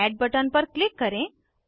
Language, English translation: Hindi, Now lets click on Add button